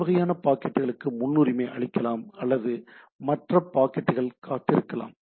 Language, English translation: Tamil, I can say that this sort of packets may give an priority or others can wait and type of things